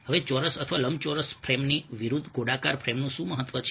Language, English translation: Gujarati, now, what is the significance of a circular frame as opposed to a square or rectangular frame